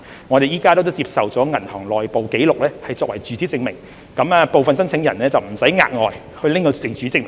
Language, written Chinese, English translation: Cantonese, 我們現時接受銀行的內部紀錄作為住址證明，讓部分申請人無須額外提供住址證明。, We now accept internal records of banks as address proof to spare some applicants of the need to provide additional proof of residential address